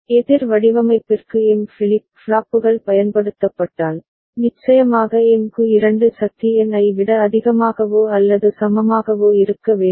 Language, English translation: Tamil, And if there are m flip flops used for counter design, of course 2 to the power m need to be greater than or equal to n ok